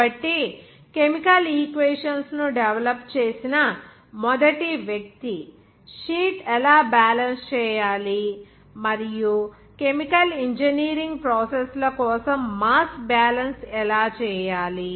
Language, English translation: Telugu, So he was the first person who has developed the chemical equations, how to balance sheet and also how to do the mass balance for the chemical engineering processes